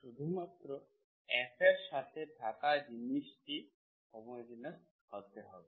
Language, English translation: Bengali, Only thing is if F of this, so inside is homogeneous